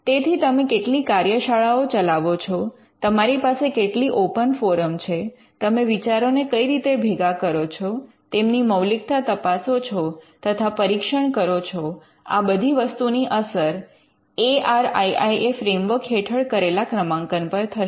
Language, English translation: Gujarati, So, how many workshops you conduct, how many forums open forums you have, what are the ways in which ideas can be collected and verified and scrutinized all these things would affect the ranking under the ARIIA framework